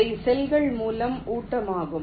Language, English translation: Tamil, those are the feed through cells